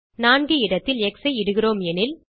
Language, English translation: Tamil, Suppose here, we type x in place of 4